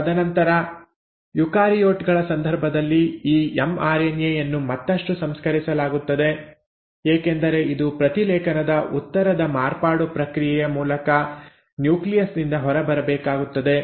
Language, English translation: Kannada, And then in case of eukaryotes this mRNA is further processed, because it needs to go out of the nucleus through the process of post transcriptional modification